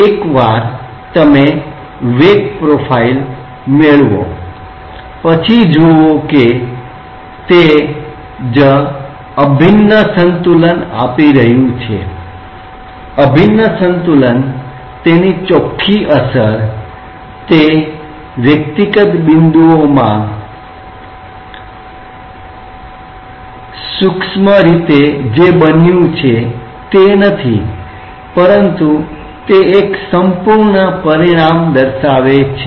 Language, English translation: Gujarati, But once you get a velocity profile see that is what the integral balance is giving, integral balance the net effect it is not microscopic looking into what has happened individual points, but it has a gross consequence